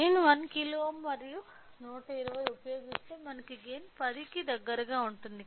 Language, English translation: Telugu, So, if I use 1 kilo ohm and 120 we will get a gain at close to 10